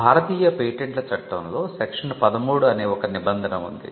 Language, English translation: Telugu, There is a provision in the Indian Patents Act